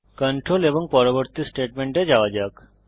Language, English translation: Bengali, The control then jumps to the next statement